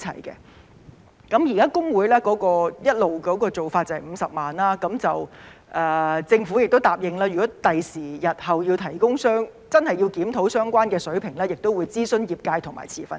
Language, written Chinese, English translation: Cantonese, 現時會計師公會一直的做法是最高50萬元，政府也答應如果日後真的要檢討相關水平，也會諮詢業界和持份者。, The existing practice of HKICPA has all along been a maximum penalty of 500,000 . The Government has also undertaken to consult the profession and stakeholders when a review of the relevant level is warranted